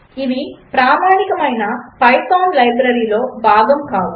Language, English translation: Telugu, Which among these libraries is part of python standard library